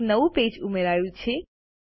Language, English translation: Gujarati, A new page is inserted